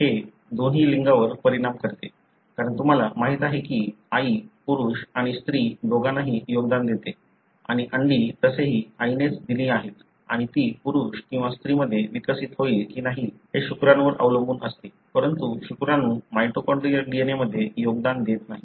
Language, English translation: Marathi, It affects both sexes, because you know mother contributes to both male and female and the egg is anyway, is given by mother and whether it would develop into a male or female depends on the sperm, but sperm doesn’t contribute to the mitochondrial DNA